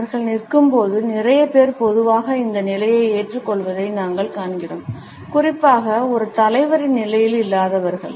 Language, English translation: Tamil, We find that a lot of people normally adopt this position while they are is standing, particularly those people who are not in a position of a leader